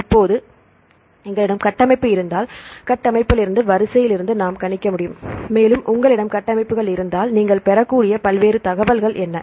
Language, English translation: Tamil, So, now if we have the structure, we can predict the structure from the sequence and if you have the structures what are the various information you can obtain